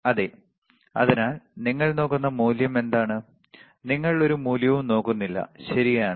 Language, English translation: Malayalam, Yes, so, what is the value you are looking at, you are not looking at any value, right